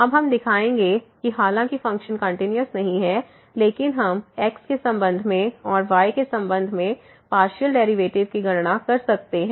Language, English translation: Hindi, Now, we will show that though the function is not continuous, but we can compute the partial derivatives with respect to and with respect to